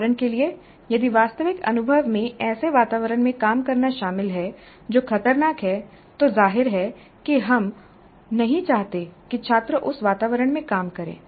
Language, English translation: Hindi, For example if the actual experience involves working in an environment which is hazardous, obviously we do not want the students to work in that environment so we can use simulation models